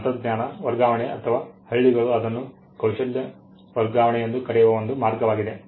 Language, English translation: Kannada, And this was a way in which technology transfer or rather villages call it skill transfer happened in those days